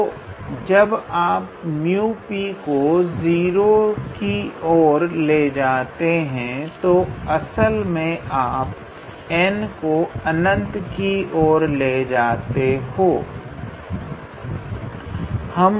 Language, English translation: Hindi, So, that when you make mu P goes to 0 you are actually making n tends to infinity